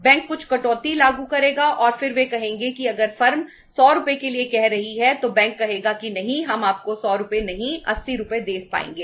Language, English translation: Hindi, Bank will apply some cut and then they would say if the firm is asking for 100 Rs bank would say no we will be able to give you 80 Rs not 100 Rs